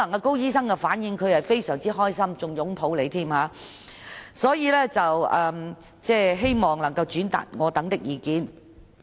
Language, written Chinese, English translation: Cantonese, 高醫生的反應可能是非常高興，甚至會擁抱局長，所以我希望局長能轉達我們的意見。, Dr KO may be very happy and even give the Secretary a hug so I hope the Secretary will convey our views